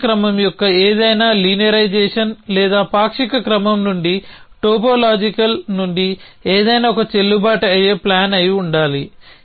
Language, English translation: Telugu, So, any linearization of a partial order or any to topological out of a partial order should be a valid plan